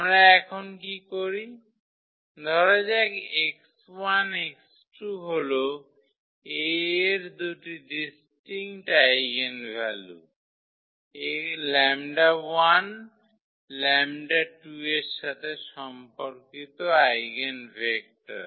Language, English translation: Bengali, So, what do we consider now so let us say x 1 and x 2 be two eigenvectors of A corresponding to two distinct eigenvalues lambda 1 and lambda 2